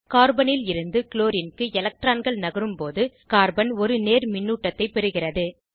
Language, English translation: Tamil, When electrons shift from Carbon to Chlorine, Carbon gains a positive charge